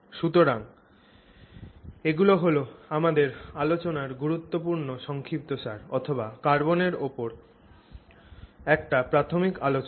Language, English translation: Bengali, So, these are our major conclusions in our discussion, our initial discussion of carbon